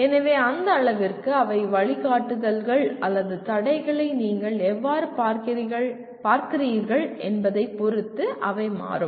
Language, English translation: Tamil, And so to that extent they become depending on how you view it as guidelines or constraints